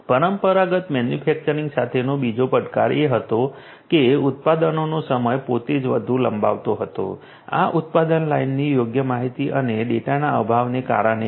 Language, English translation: Gujarati, The other challenge with traditional manufacturing was that the production time itself used to be much more extended, this is because of lack of proper information and data of the production line